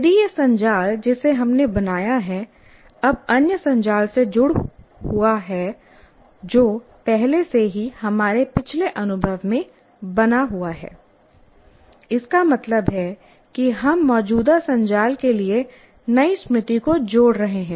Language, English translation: Hindi, If this network that we formed is now linked to other networks, which are already formed in our past experience, that means we are relating the new memory to the existing frameworks, existing networks